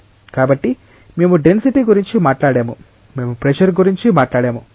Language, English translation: Telugu, So, we have talked about density, we have talked about pressure